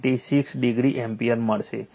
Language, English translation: Gujarati, 96 degree ampere